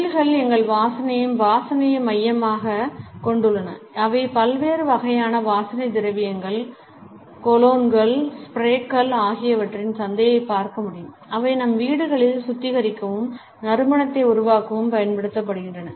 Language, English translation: Tamil, Industries are also based around our preoccupations of smells and odors we can look at the market which is there for different types of perfumes, colognes, sprays which we use to sanitize and create scents in our homes etcetera